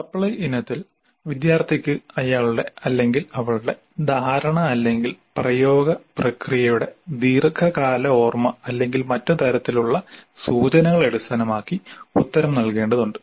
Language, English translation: Malayalam, In the supply type, the student has to supply the answer based on his or her understanding or long time memory of the apply procedure or other kinds of clues